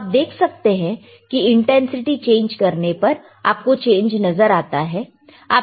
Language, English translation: Hindi, You see, by changing the intensity, you will be able to see the change